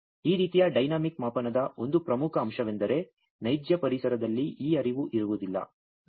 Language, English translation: Kannada, Now, one important aspect of this kind of dynamic measurement is that in real ambient this flow is will not be there